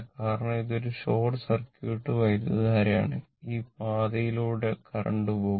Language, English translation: Malayalam, Because, it is a short circuit it is a short circuit right